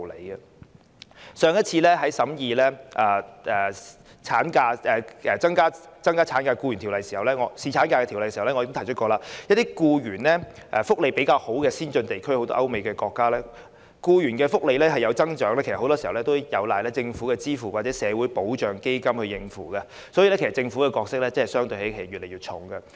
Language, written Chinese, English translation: Cantonese, 在本會上次審議對《僱傭條例》進行修訂以增加侍產假時，我已提及一些僱員福利較佳的先進地區，例如歐美國家，當地的僱員福利有所增加，其實很多時候也有賴政府支付或由社會保障基金應付，所以，政府的角色會越來越重。, When this Council scrutinized last time the amendments to the Employment Ordinance for increasing the paternity leave I mentioned that in some advanced regions with better employee benefits such as some European countries and the United States the increase of benefits for local employees is in fact often driven by government funding or social security funds . Therefore the Governments role will be increasingly important